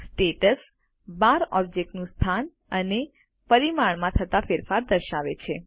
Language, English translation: Gujarati, The Status bar shows the change in position and dimension of the object